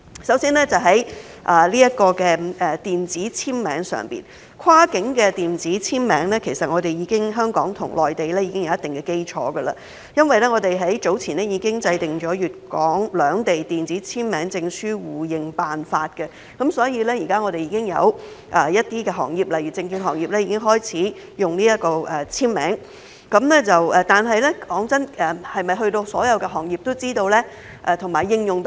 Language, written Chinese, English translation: Cantonese, 首先，在電子簽名方面，香港與內地其實已有一定基礎，因為我們早前已制訂了粵港兩地電子簽名證書互認辦法，所以現時有些行業已經開始使用電子簽名，但老實說，是否所有行業都了解和應用得上呢？, To begin with regarding electronic signature actually Hong Kong and the Mainland have already established a certain foundation in the sense that we have earlier developed the Arrangement for Mutual Recognition of Electronic Signature Certificates Issued by Hong Kong and Guangdong so some industries such as the securities industry have now begun to use electronic signature . But to be honest is it comprehensible and applicable to all industries?